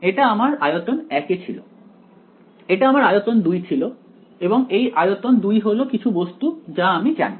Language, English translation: Bengali, This was my volume 1; this was my volume 2 and this volume 2 is some object which I know